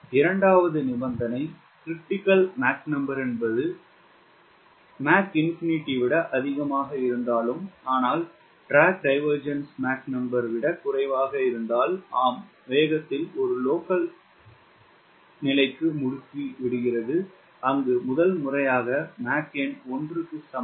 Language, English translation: Tamil, if second condition, where m critical is more than m infinity but less than m drag divergence, then s locally, where the velocity accelerates to a local condition where, for the first time, mach number equal to one